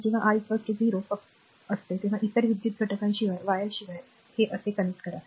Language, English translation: Marathi, And when R is equal to 0 just connect it like this without no other electric elements simply wire